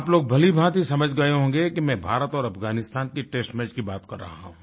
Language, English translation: Hindi, Of course you must have realized that I am referring to the test match between India and Afghanistan